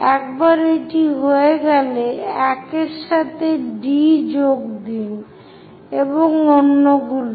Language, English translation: Bengali, Once it is done, join D with 1 prime and so on